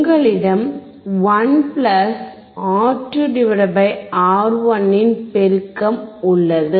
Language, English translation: Tamil, You have the amplification of 1 + (R2 / R1)